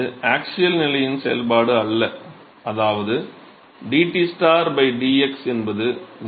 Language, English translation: Tamil, So, that is not a function of the axial position which means that dTstar by dx is 0